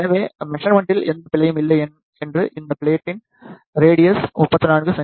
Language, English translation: Tamil, So, that there is not any error in case of measurement the radius of this plate is 34 centimeter